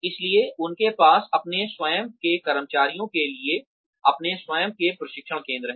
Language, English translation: Hindi, So they have their own training centers, for their own employees